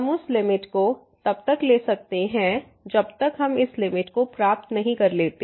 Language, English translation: Hindi, We can take the limit till the time we achieve this limit